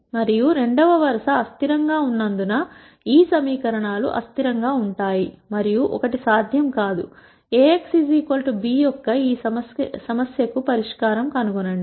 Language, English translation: Telugu, And since the second row is inconsistent, these equations are inconsistent and one cannot nd a solution to this problem of A x equal to b